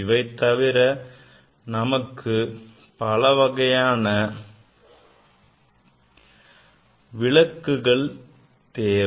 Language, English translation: Tamil, Then you need different light source